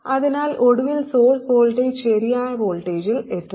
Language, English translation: Malayalam, So eventually the source voltage reaches the correct voltage